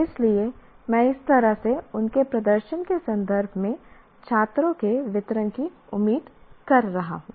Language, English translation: Hindi, So one has to be, that is the way I am expecting the distribution of students in terms of their performance